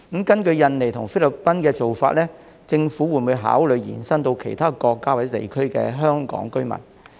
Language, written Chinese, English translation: Cantonese, 根據與印尼和菲律賓的安排，政府會否考慮將這做法延伸到其他國家或地區的香港居民？, Based on the arrangements with Indonesia and the Philippines will the Government consider extending this practice to the Hong Kong residents in other countries or regions?